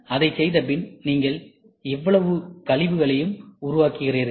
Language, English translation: Tamil, And after doing it, you also generate so much of waste